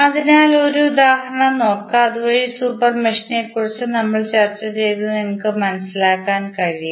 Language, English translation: Malayalam, So, let us see one example so that you can understand what we discussed about the super mesh and larger super mesh